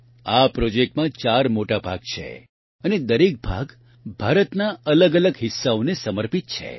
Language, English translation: Gujarati, There are four big volumes in this project and each volume is dedicated to a different part of India